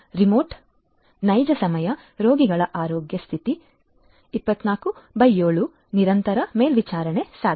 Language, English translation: Kannada, Remote real time continuous monitoring of patients health condition 24x7 is possible